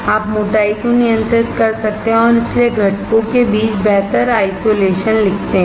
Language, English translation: Hindi, You can control the thickness and hence write better isolation between components